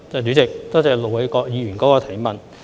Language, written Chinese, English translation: Cantonese, 主席，多謝盧偉國議員的補充質詢。, President I thank Ir Dr LO Wai - kwok for his supplementary question